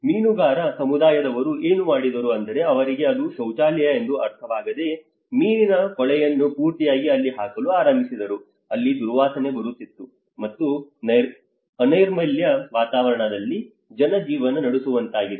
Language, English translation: Kannada, Because the fishermen community what they did was they did not understand it was a toilet and they started putting a whole the fish dirt into that, and it was like foul smell and people are living in a very unhygienic environment